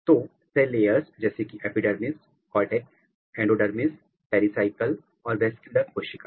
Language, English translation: Hindi, So, cell layers are like epidermis, cortex, endodermis pericycle and vascular cells